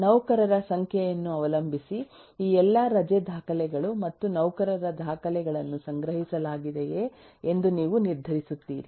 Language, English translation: Kannada, depending on the number of employees, you will decide whether how, with the all these, leave record and employee record will be stored